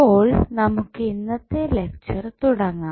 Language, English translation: Malayalam, So, now, let us start the today's lecture